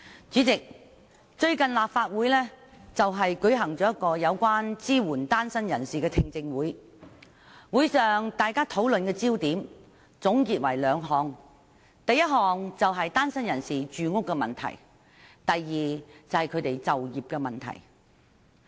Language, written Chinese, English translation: Cantonese, 主席，最近立法會舉行了支援單身人士的聽證會，會上討論的焦點有兩個：其一，是單身人士的住屋問題；其二，是他們的就業問題。, President the Legislative Council has held a hearing recently on support for singletons . The discussion held at the meeting focused on two issues firstly the housing problem faced by singletons; and secondly their employment problem